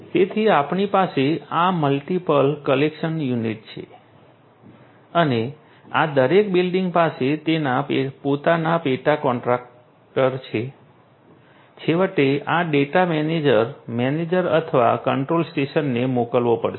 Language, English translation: Gujarati, So, we have this multiple collection units and each of these buildings have their own subcontractors and finally, this data will have to be sent to the manager, manager or the control station